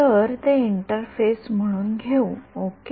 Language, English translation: Marathi, So, let us take this as the interface ok